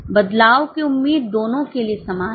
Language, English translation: Hindi, The expectation of change is same for both